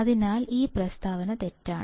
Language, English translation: Malayalam, So, this statement is false